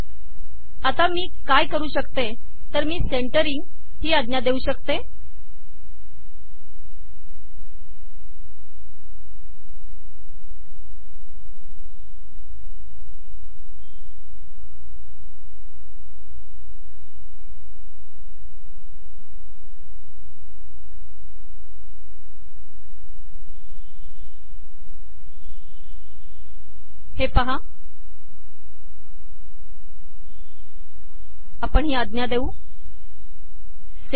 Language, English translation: Marathi, What I can do is give a command here called centering